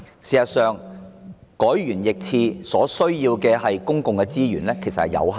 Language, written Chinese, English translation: Cantonese, 事實上，就此事而言，政府改弦易轍所需要的公共資源有限。, As a matter of fact on this subject the Government needs limited public resources to change its course